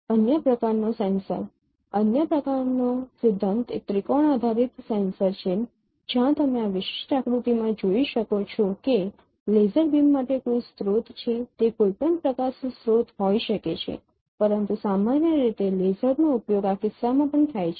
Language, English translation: Gujarati, The other kind of sensor other kind of principle is triangular triangulation based sensors where you can see in this particular diagram that there is a source for laser beam it could be any light source but usually lasers are used for in this case also